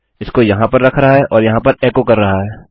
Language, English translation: Hindi, Putting it here and echoing it out here